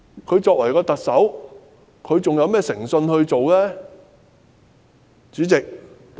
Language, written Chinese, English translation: Cantonese, 她身為特首，還有甚麼誠信可言呢？, What else can we say about the integrity of this Chief Executive?